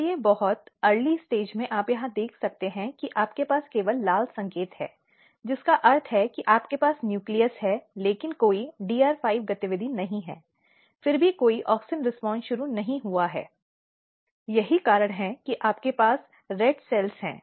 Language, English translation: Hindi, So, at very early stage you can see here that you have only red signal means you have nucleus, but there is no DR5 activity yet there is no auxin response initiated that is why you have red cells